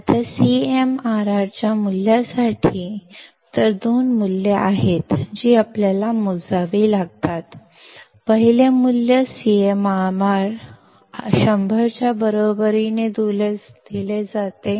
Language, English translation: Marathi, Now for the value of CMRR; so, there are two values that we need to calculate; first value is given as CMRR equals to 100